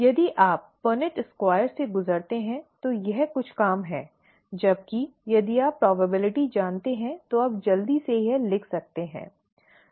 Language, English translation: Hindi, If you go through the Punnett Square, it is some amount of work, whereas if you know probability, you can quickly write down this, okay